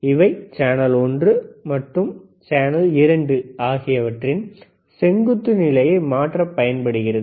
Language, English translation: Tamil, Then this channel one and channel 2 are used for changing the vertical position